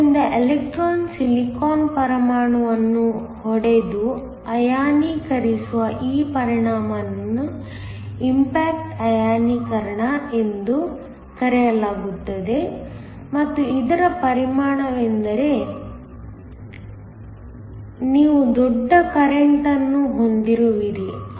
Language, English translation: Kannada, So, this effect where the electron hits a silicon atom and ionizes it is called Impact Ionization and the effect of this is that you that have a large current